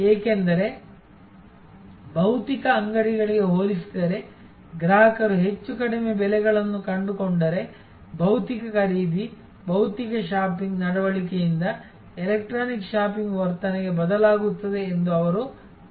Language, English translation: Kannada, Because, they feel that compare to the physical stores, if customers really find lower prices than more and more will shift from physical purchasing, physical shopping behavior to electronic shopping behavior